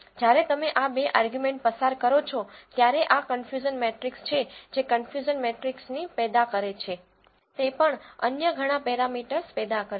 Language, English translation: Gujarati, When you pass these two arguments, this is the confusion matrix that is generated along with confusion matrix it will generate whole lot of other parameters